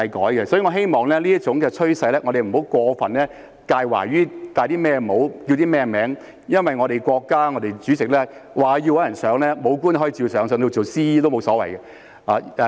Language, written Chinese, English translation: Cantonese, 所以，我希望在這種趨勢下，我們不要過分介懷帶甚麼帽、叫甚麼稱呼，因為我們國家主席若要找人上位，武官也可以照上，甚至做 CE 也沒所謂。, Therefore I hope that under such a trend we will not be too concerned about labels or titles because if our State President wishes to find someone to do a job disciplined staff can take up the job all the same and it does not matter even if it is the CEs job